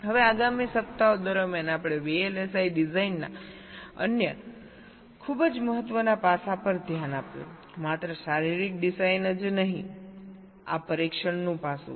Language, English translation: Gujarati, ok, now during the next weeks we looked at the another very important aspects of vlsi design, not only physical design